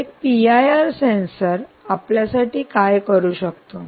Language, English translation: Marathi, so this is, in a sense, what a p i r sensor can do to us, right